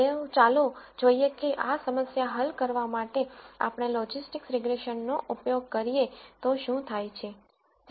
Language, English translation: Gujarati, So, let us see what happens if we use logistic regression to solve this problem